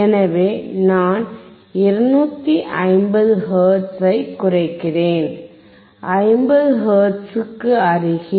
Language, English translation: Tamil, So, I am decreasing 250 hertz, close to 50 hertz